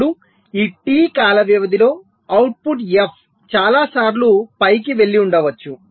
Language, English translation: Telugu, right now, within this time period t, the output f may be going up and going down several times